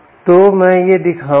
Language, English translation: Hindi, ok, so so i will show this